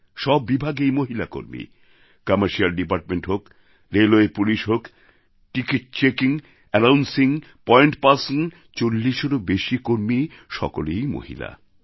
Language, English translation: Bengali, All departments have women performing duties… the commercial department, Railway Police, Ticket checking, Announcing, Point persons, it's a staff comprising over 40 women